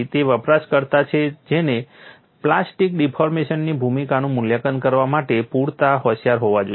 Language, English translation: Gujarati, It is a user who has to be intelligent enough to assess the role of plastic deformation